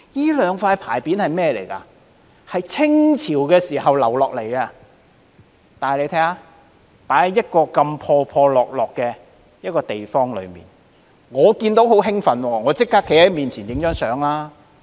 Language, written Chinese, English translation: Cantonese, 這兩塊牌匾由清朝留傳下來，但卻閒置在一個破落的地方，我看見時感到十分興奮，立即上前與它拍照。, These two inscribed boards have been passed down from the Qing Dynasty but are now left idle in a dilapidated place . I was thrilled when I saw the inscribed boards and immediately took a photo with them